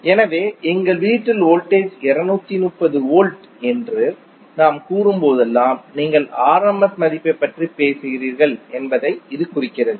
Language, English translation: Tamil, So whenever we say that the voltage in our house is 230 volts it implies that you are talking about the rms value not the peak value